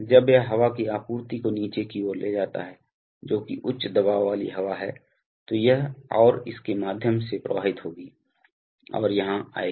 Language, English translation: Hindi, So when it moves downward the air supply, which is a high pressure air will flow through this, and through this, and will come here